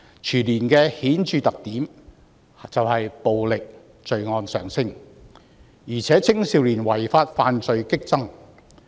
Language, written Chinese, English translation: Cantonese, 全年的顯著特點就是暴力罪案上升，而且青少年違法犯罪激增。, A marked feature of the year is an increase in the number of violent crimes and a sharp rise in juvenile delinquency